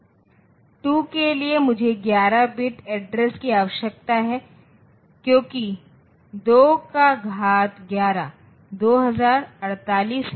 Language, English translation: Hindi, So, for 2 k I need 11 bit of address because 2 power 11 is 2048